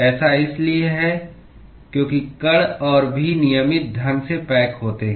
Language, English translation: Hindi, That is because the particles are even more randomly packed